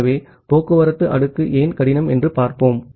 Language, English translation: Tamil, So, let us see that why it is difficult for transport layer